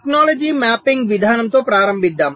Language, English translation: Telugu, so let us start with the technology mapping approach